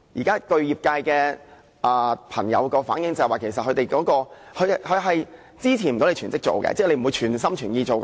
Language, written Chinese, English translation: Cantonese, 據業界朋友反映，法援並不足以支持他們成為全職當值律師，即是他們不會全心全意做。, Industry practitioners have reflected that the number of legal aid cases is not enough to support them as full - time duty lawyers . This means that their participation will not be whole - hearted